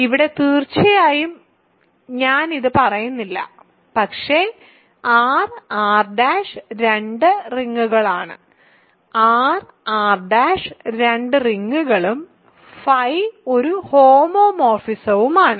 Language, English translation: Malayalam, So, here of course, I am not saying this, but R and R prime are two rings; R and R prime are two rings and phi is a homomorphism